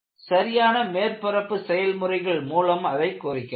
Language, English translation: Tamil, You can do it by proper surface treatments